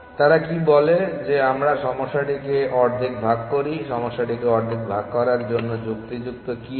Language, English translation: Bengali, What they say is why do we breakup the problem into half what is the rational for breaking up the problem into half